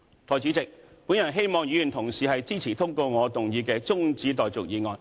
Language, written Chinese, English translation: Cantonese, 代理主席，我希望議員同事支持通過我動議的中止待續議案。, Deputy President I hope that my colleagues will support the adjournment motion that I moved